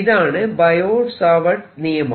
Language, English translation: Malayalam, this is known as the bio savart law